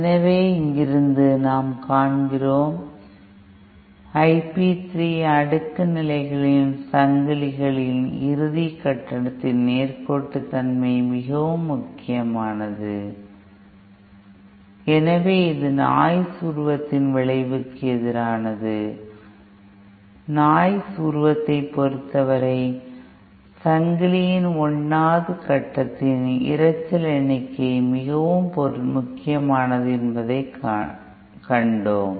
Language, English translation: Tamil, So from here that we see that the input, that I p 3, the linearity of the end stage in the in the chain of cascaded stages matters the most, so this is opposite to the effect of the noise figure, in case of noise figure we saw that the noise figure of the 1st stage in the chain matters the most